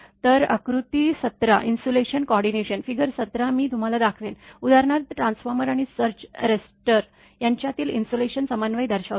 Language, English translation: Marathi, So, figure seventeen shows the insulation coordination figure 17 I will show you, shows the insulation coordination between an oilfield equipment for example, transformer and the surge arrester